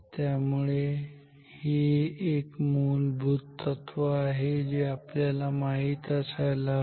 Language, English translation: Marathi, So, this is a fundamental phenomena we must know